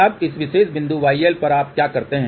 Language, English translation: Hindi, Now, this y L at this particular point what you do